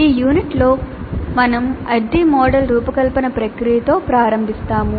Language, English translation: Telugu, Now in this unit we will start with the design process of the ADI model